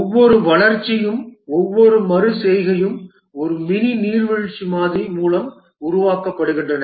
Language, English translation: Tamil, And each iteration is developed through a mini waterfall model